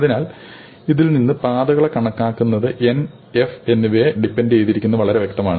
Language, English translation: Malayalam, So from this, it follows that computing the paths depends on both N and F